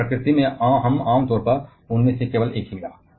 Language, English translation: Hindi, But in nature we generally found only one of them